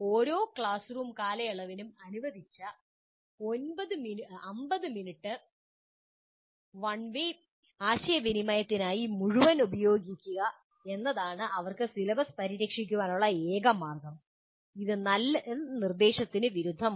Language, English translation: Malayalam, And the only way they can cover the syllabus is the entire 50 minutes that is allocated for each classroom period is used only for one way communication, which is totally against good instruction